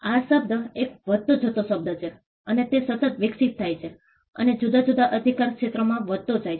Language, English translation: Gujarati, The term has been an increasing term and it is been constantly evolving and increasing in different jurisdictions